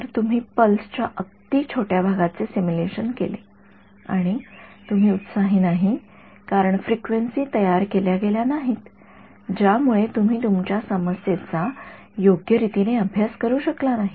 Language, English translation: Marathi, So, you just simulated some very small part of the pulse and you have not excited because those frequencies were not generated you have not actually been not able to study your problem properly right